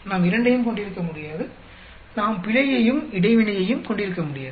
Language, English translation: Tamil, We cannot have both, we cannot have both error as well as interaction